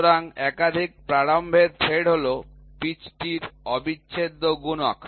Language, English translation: Bengali, So, multiple start thread are the lead is an integral multiple of the pitch